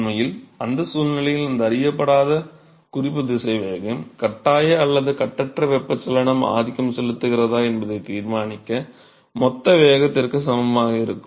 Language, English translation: Tamil, In fact, in that situation this unknown reference velocity be equal to the bulk velocity itself, to decide whether force or free convection is dominant